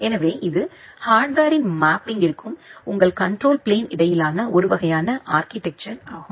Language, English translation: Tamil, So, this is a kind of structure structural component between the mapping of the original hardware and your control plane